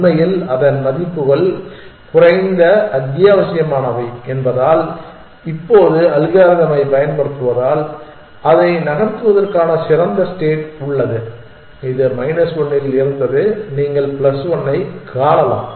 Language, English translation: Tamil, Actually, because its values are lower essential, now using the algorithm, it has a better state to move, it was at minus 1 you can you can see plus 1